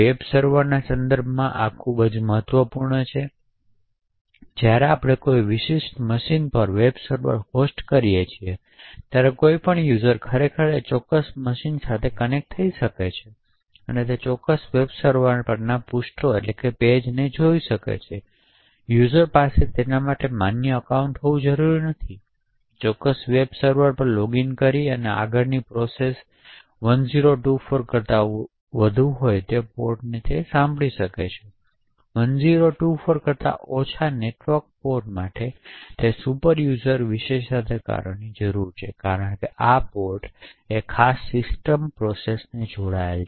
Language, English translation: Gujarati, So this is important with respect to say Webservers, now when we host a web server on a particular machine, any user could actually connect to do particular machine and view the pages on that particular web server, that user does not require to have a valid login on that particular web server, further any process can listen to ports which are greater than 1024, for network ports which are less than 1024, it requires superuser privileges because these ports have linked a special system processes